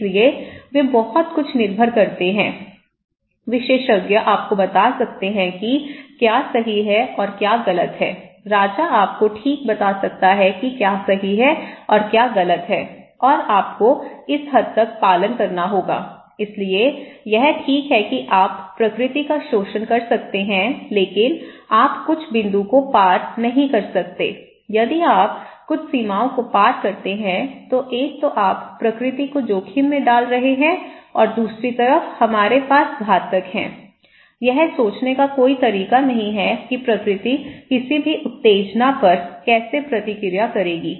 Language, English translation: Hindi, So, they depends much so, expert can tell you what is right and what is wrong, the king can tell you okay that what is right and what is wrong and you have to follow that extent so, it is okay that you can exploit the nature but you cannot cross certain point, cross certain boundaries okay, if you cross that one you are putting the nature at risk and on the other hand, we have fatalists, there is no way to foresee how nature will react to any stimulus